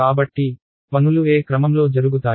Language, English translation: Telugu, So, what is the order in which things are done